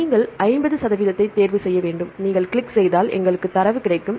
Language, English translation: Tamil, You have to choose the 50 percent and if you click we will get the data